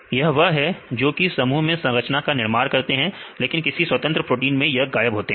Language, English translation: Hindi, These are the ones that has structure in the complexe, but this is missing in the case of free proteins